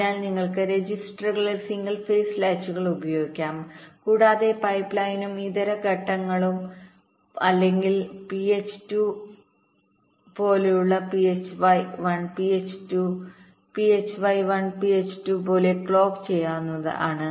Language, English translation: Malayalam, so this is what is mentioned here, so you can use single phase latches in the registers and the pipeline and alternate stages can be clocked by phi one or phi two, like phi one, phi two, phi one, phi two, like that